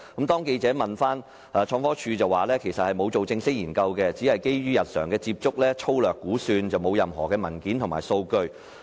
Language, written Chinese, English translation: Cantonese, 當記者追問時，創科署回應指其實未作正式研究，只是基於日常接觸作出粗略估算，沒有任何文件及數據可提供。, But when asked by reporters ITC replied that no formal study had been conducted that all was just a rough estimation worked out on the basis of daily interactions and that ITC did not have any documentary or data support